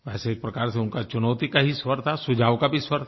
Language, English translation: Hindi, " In a way it had a tone of challenge as well as advice